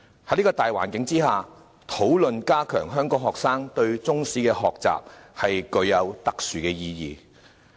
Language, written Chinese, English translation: Cantonese, 在這個大環境下，討論加強香港學生對中史科的學習，具有特殊意義。, Under such circumstances the discussion on strengthening the learning of Chinese history of Hong Kong students is of special significance